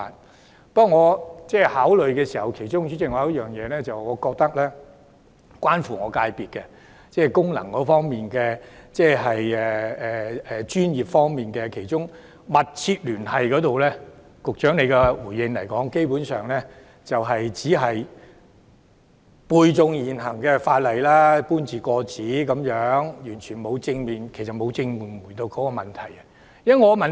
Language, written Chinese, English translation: Cantonese, 主席，但我在考慮時，認為其中一點是關乎我的界別，即是功能界別的專業團體方面，局長就"密切聯繫"這項條件作回應時，基本上只是背誦現行法例，搬字過紙，完全沒有正面回應問題。, But President in my consideration I think there is a point that concerns my sector and that is in respect of the professional bodies in functional constituencies FCs when the Secretary gave a response to the requirement of having a substantial connection actually he only recited the existing legal provisions and copied them word for word without positively responding to the problem at all